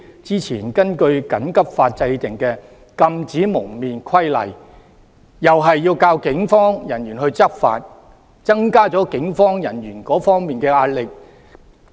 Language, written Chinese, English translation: Cantonese, 之前根據"緊急法"制定的《禁止蒙面規例》同樣要靠警方人員執法，增加了他們的壓力。, The Prohibition on Face Covering Regulation made under the Emergency Regulations Ordinance earlier requires the enforcement actions by the Police Force . This increases the pressure of the Police